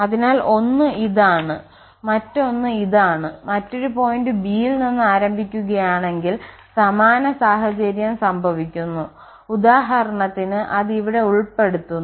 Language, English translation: Malayalam, So, one this one and the other one is this one, so and either we start from other point this b the same situation whatever we have left here for instance its covered here